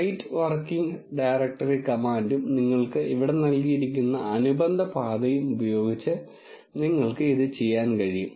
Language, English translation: Malayalam, That you can do using set working directory command and the corresponding path you can give here